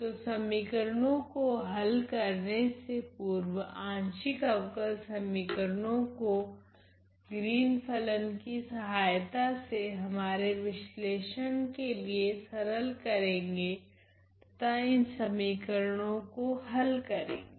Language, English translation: Hindi, So, before we start to solve equations which are partial differential equations the Green’s function is going to simplify our analysis and the solution to these equations